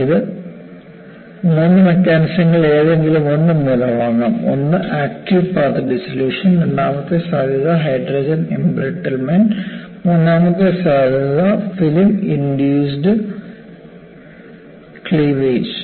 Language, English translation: Malayalam, And this could advance by any of the 3 mechanisms; 1 is active path dissolution; the second possibility is Hydrogen embrittlement; and third possibility is film induced cleavage